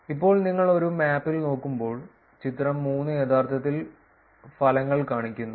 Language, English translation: Malayalam, Now when you look at it in a map, the figure 3 actually shows the results